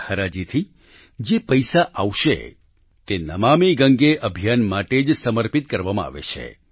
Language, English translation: Gujarati, The money that accrues through this Eauction is dedicated solely to the Namami Gange Campaign